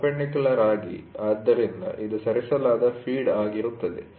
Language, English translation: Kannada, So, perpendicular, so this will be the feed which has been moved